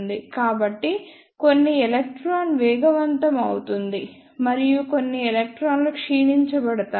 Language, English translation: Telugu, So, some electron will be accelerated and some electrons will be the decelerated